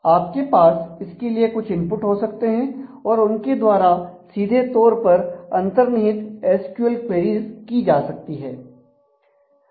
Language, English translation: Hindi, So, you may have some inputs to that and they can be used to directly fire embedded SQL queries